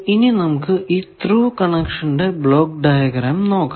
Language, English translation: Malayalam, Now, first let us see the block diagram of a Thru connection